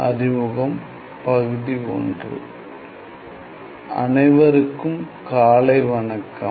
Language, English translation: Tamil, 01 Good morning everyone